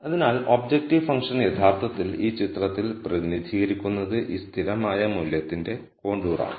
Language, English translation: Malayalam, So, the objective function is actually represented in this picture as this constant value contours